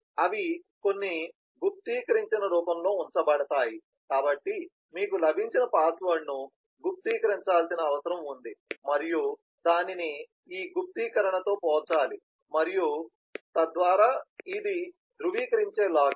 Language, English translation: Telugu, they are kept in some encrypted form, so the password that you have got that needs to be encrypted and then it is to be compared with this encryption and so on, so that is the verify login